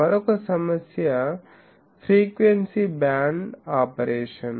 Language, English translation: Telugu, Another problem is the frequency band of operation